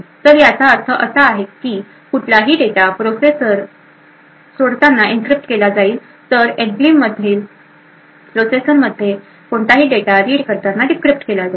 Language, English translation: Marathi, So what this means is that any data leaving the processor would be encrypted while any data read into the processor which is present in the enclave would be decrypted